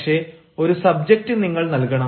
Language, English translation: Malayalam, but you have to give the subject